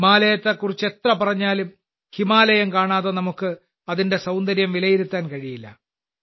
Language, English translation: Malayalam, No matter how much one talks about the Himalayas, we cannot assess its beauty without seeing the Himalayas